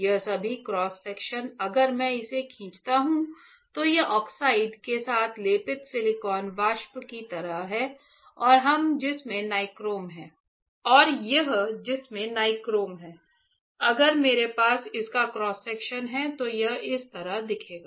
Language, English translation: Hindi, These all cross section if I draw it, it is like silicon vapor coated with oxide or which there is nichrome alright; if I have a cross section of this it will look like this